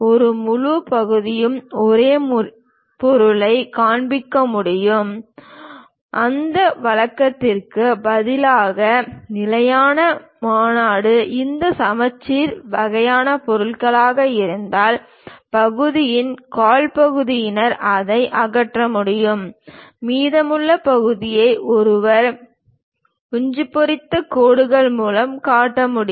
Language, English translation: Tamil, One can have a full section show the same object, instead of that usual the standard convention is; if these are symmetric kind of objects, one quarter of the portion one can really remove it, the remaining portion one can show it by hatched lines